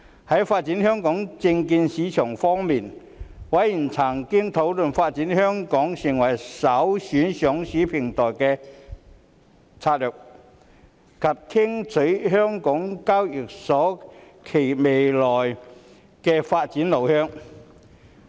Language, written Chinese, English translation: Cantonese, 在發展香港證券市場方面，委員曾討論發展香港成為首選上市平台的策略，以及聽取香港交易所簡介未來發展路向。, On the development of the Hong Kong securities market the Panel has discussed strategies to develop Hong Kong as a premier listing platform and listened to a briefing by the Hong Kong Exchanges and Clearing Limited HKEx on its future development